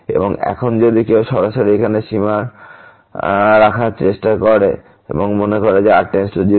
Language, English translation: Bengali, And now if someone just directly try to put the limit here and think that goes to 0